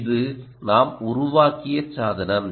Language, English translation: Tamil, this is the device that we have built